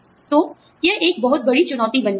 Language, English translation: Hindi, So, that becomes a very big challenge